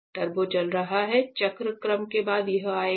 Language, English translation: Hindi, Turbo is running; after cycle sequence, it will come